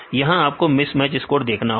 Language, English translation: Hindi, So, you have to again mismatch score